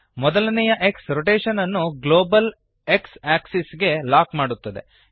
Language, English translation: Kannada, The first X locks the rotation to the global X axis